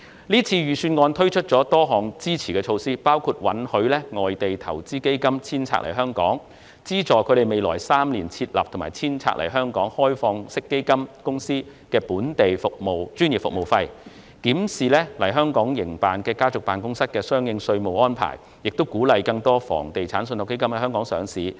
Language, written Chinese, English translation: Cantonese, 這份預算案推出了多項支持措施，包括允許外地投資基金遷冊來港，資助未來3年於香港設立或遷冊來港的開放式基金公司的本地專業服務費，檢視來港營辦的家族辦公室的相關稅務安排，以及鼓勵更多房地產信託基金在港上市。, This Budget has introduced a number of supportive measures including allowing foreign investment funds to re - domicile to Hong Kong providing subsidies to cover the expenses paid to local professional service providers for open - ended fund companies set up in or re - domiciled to Hong Kong in the coming three years reviewing the relevant tax arrangements for family offices in Hong Kong and encouraging the listing of more real estate investment trusts in Hong Kong